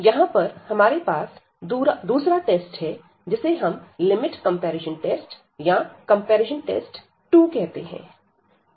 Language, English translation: Hindi, So, here we have another test which is called the limit comparison test or the comparison test 2, so this is again a useful test here